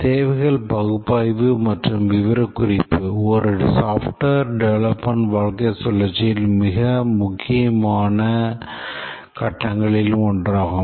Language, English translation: Tamil, Requirements analysis and specification is one of the most important phases in the lifecycle of a software development work